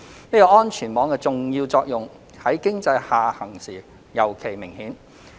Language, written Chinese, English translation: Cantonese, 這個安全網的重要作用在經濟下行時尤其明顯。, This important function is particularly visible during economic downturns